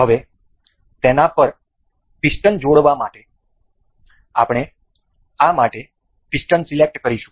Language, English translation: Gujarati, Now, to attach the piston over it, we will select the piston for this